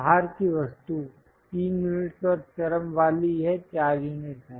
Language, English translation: Hindi, The outside object, 3 units and the extreme one this is 4 units